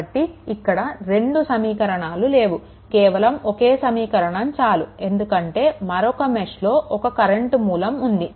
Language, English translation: Telugu, So, number of equation not 2 here, number of equation will be 1 because in another mesh the current source is there